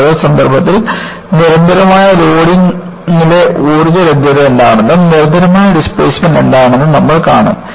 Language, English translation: Malayalam, And, in the context, we will also see, what the energy availability is in constant load, as well as constant displacement